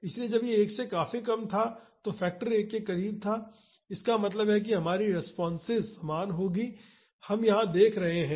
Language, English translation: Hindi, So, when it was much less than 1, this factor was close to 1; that means, our responses would be similar that is the trend we are seeing here